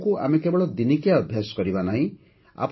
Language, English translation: Odia, We do not have to make Yoga just a one day practice